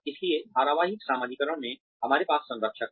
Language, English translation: Hindi, So, in serial socialization, we have mentors